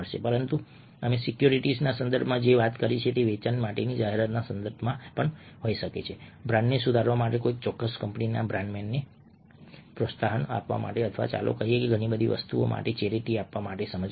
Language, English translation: Gujarati, but what we talked about in the context of securities could be also in the contextual advertising for sales, for improving the brand, bolstering the brand name of a particular company or for, let's say, persuading people to give, to give charity for so many things